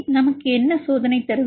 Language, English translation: Tamil, So, what the experimental data we get